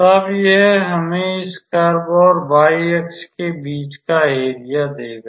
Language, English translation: Hindi, So, that will give us the area between this curve and the y axis